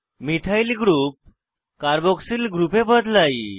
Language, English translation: Bengali, Methyl group is converted to a Carboxyl group